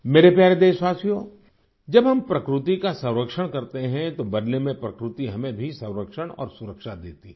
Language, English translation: Hindi, when we conserve nature, in return nature also gives us protection and security